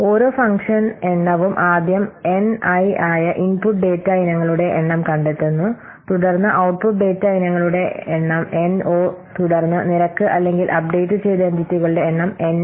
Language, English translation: Malayalam, For each function count, first find the number of input data items, that is nI, then the number of output data items, that is NO, then the number of entities which are red or updated, that is any